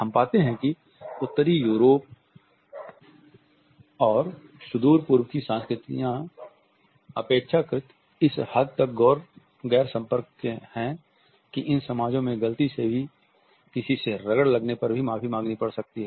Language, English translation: Hindi, We find that in Northern Europe and Far East cultures are relatively non contact to the extent that one may have to apologize even if we accidentally brush against somebody in these societies